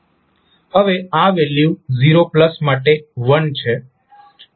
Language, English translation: Gujarati, Now, this value is 1 for 0 plus